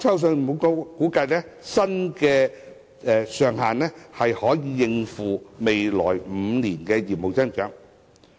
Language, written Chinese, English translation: Cantonese, 信保局估計，新上限能夠應付未來5年的業務增長。, ECIC estimates that the new cap should be sufficient to meet its business growth in the next five years